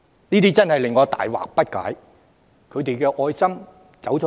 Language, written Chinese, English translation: Cantonese, 這真的令我大惑不解，他們的愛心往哪裏去了？, I am truly puzzled over this where has their caring attitude gone?